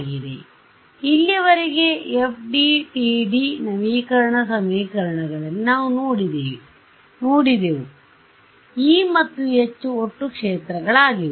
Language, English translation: Kannada, So, in the so, far what we have seen in the FDTD update equations, the E and H are total fields right